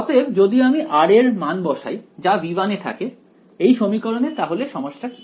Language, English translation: Bengali, So, if I plug in a value of r belonging to v 1, can I what is the problem with this equation